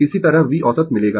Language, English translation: Hindi, Similarly, you will get V average